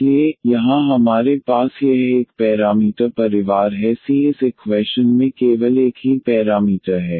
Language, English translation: Hindi, So, here we have this one parameter family the c is the only parameter in this in this equation